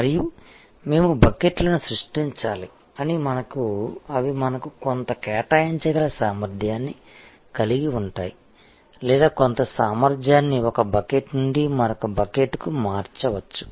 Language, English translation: Telugu, And we have to create the buckets in such a way that they, we have some allocable capacity or we can migrate some capacity from one bucket to the other bucket